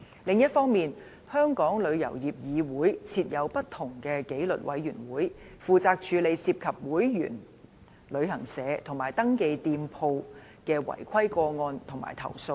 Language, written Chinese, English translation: Cantonese, 另一方面，香港旅遊業議會設有不同的紀律委員會，負責處理涉及會員旅行社及"登記店鋪"的違規個案及投訴。, On the other hand the Travel Industry Council of Hong Kong TIC has set up various disciplinary committees which are responsible for handling non - compliance cases concerning and complaints against its member travel agents and the registered shops